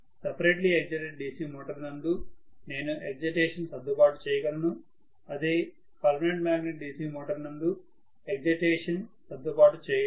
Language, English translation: Telugu, In separately excited DC motor I can adjust the excitation in a permanent magnet DC motor I cannot adjust the excitation